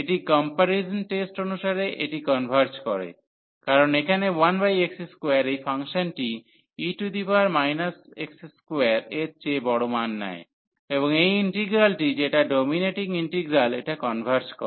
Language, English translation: Bengali, So, this converges and then by this comparison test, because this function here 1 over x square is taking larger values then e power minus x square, and this integral which is dominating integral this converges